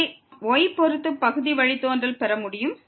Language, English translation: Tamil, Same we can do to get the partial derivative with respect to